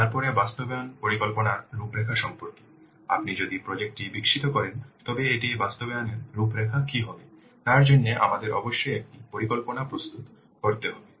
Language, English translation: Bengali, Then about outline of the implementation plan, if you will develop the project, what will the outline to implement it for that we must prepare a plan